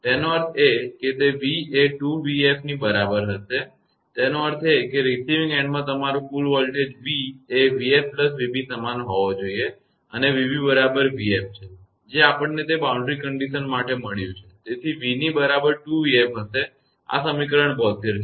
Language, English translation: Gujarati, That means it will be v is equal to 2 v f; that means your total voltage at the receiving end v should be is equal v f plus v b that is equal to v b is equal to v f we have got, for that boundary condition; so, it will be v is equal to 2 v f; this is equation 72